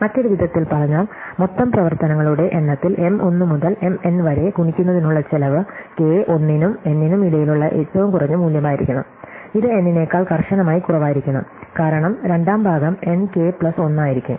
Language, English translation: Malayalam, In other words, the cost for multiplying M 1 to M n in terms of total number of operations should be the minimum value of k between 1 and n, it has to be strictly less than n, because the second part will be n k plus 1